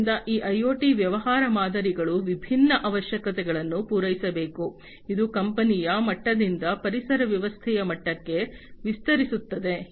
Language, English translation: Kannada, So, these IoT business models must address different requirements, this would extend the scope beyond in the company level to the ecosystem level